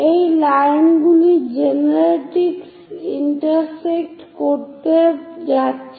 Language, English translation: Bengali, So, these are the lines which are going to intersect the generatrix